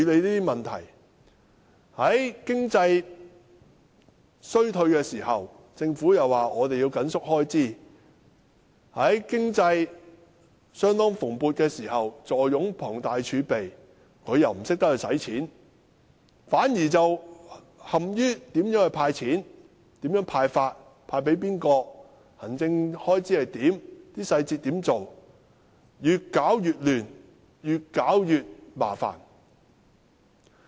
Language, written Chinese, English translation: Cantonese, 在經濟衰退時，政府表示要緊縮開支；在經濟蓬勃時，政府坐擁龐大儲備，但卻不懂得花錢，反而陷於如何"派錢"、"派錢"給誰、行政開支如何等執行細節，越搞越亂，越搞越麻煩。, In times of economic recession the Government said it had to tighten its belt . However when the economy is booming the Government does not know how to spend the huge reserves . Instead it is caught in execution details such as how and to whom cash should be handed out as well as the administrative costs creating more confusions and troubles